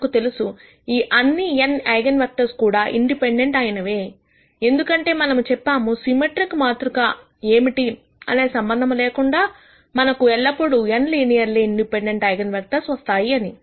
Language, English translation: Telugu, We know, that all of this n minus eigenvectors are also independent; because we said irrespective of what the symmetric matrix is, we will always get n linearly independent eigenvectors